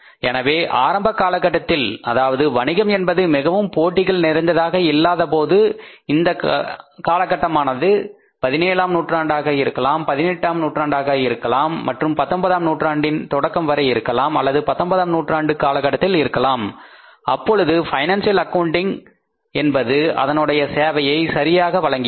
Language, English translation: Tamil, So initially when the business was not very competitive maybe in the 17th century, 18th century and in that till the beginning of 19th century or even during the 19th century financial accounting served the purpose